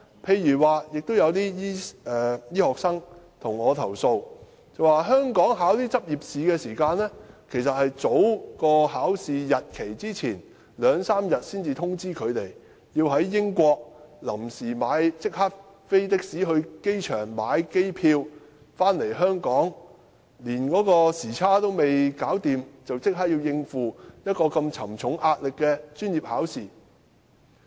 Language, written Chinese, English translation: Cantonese, 此外，有些醫科學生向我投訴，香港這些執業試的考試時間只會在考試前兩三天才通知他們，他們要在英國即時乘的士到機場購買機票返港，回港後連時差還未適應便立即要應付壓力如此沉重的專業考試。, Moreover some medical students have complained to me about the arrangement of these licensing examinations in Hong Kong . Since they are given an advance notice of only two or three days prior to the examination they have to take a taxi to the airport in the United Kingdom to get a ticket to return to Hong Kong . Upon arrival they have to sit for these professional examinations immediately under tremendous pressure even before they have adjusted to the jet lag